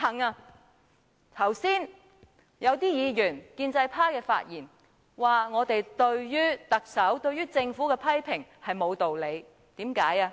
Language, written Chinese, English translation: Cantonese, 有建制派議員剛才發言指我們對特首及政府的批評沒有道理。, Members of the pro - establishment camp just now said that our criticisms against the Chief Executive were unreasonable